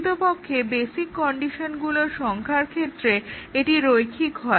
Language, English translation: Bengali, Actually, linear in the number of basic conditions